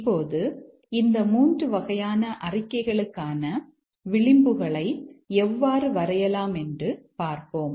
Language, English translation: Tamil, Now let's see how to draw the edges for these three types of statements